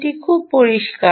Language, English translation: Bengali, that is clear, ok